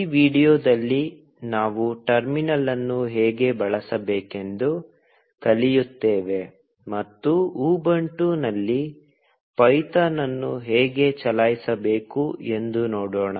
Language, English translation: Kannada, In this video, we will learn how to use the terminal, and see how to run python on Ubuntu